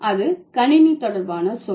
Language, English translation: Tamil, So, that is a computer related word